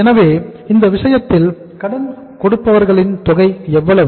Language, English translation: Tamil, So uh in this case how much is the amount of sundry creditors